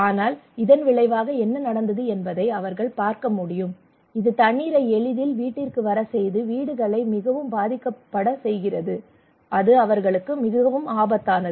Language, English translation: Tamil, But as a result what happened they can see that it makes the houses more vulnerable water can easily come to house and it is really risky for them